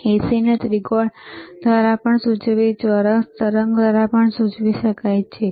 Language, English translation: Gujarati, We can also indicate AC by a triangle or by square wave